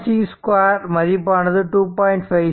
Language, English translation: Tamil, 6 square 2